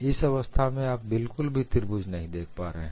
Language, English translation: Hindi, You do not see the triangle at all in this case